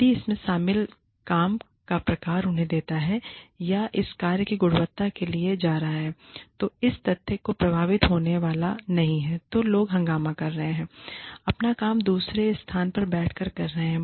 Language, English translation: Hindi, If the type of work, that is involved, gives them, or is going to the quality of this work, is not going to be affected by the fact, that people are commuting, are doing their work, sitting in another location